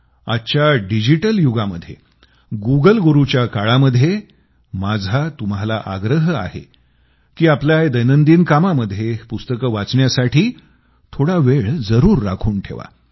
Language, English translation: Marathi, I will still urge you in today's digital world and in the time of Google Guru, to take some time out from your daily routine and devote it to the book